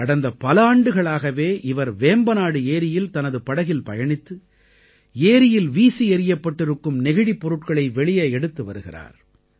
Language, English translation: Tamil, For the past several years he has been going by boat in Vembanad lake and taking out the plastic bottles thrown into the lake